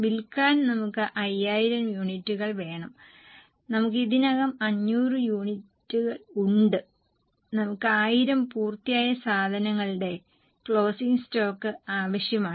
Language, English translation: Malayalam, We need to have 500 units for selling, we already have, sorry, 5,000 units for sale, we already have 500 and we need to have a closing stock of 1,000 of finished goods